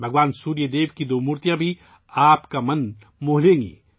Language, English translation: Urdu, Two idols of Bhagwan Surya Dev will also enthrall you